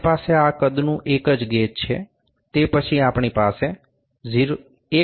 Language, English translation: Gujarati, We have only one gauge of this size, then, we have from 1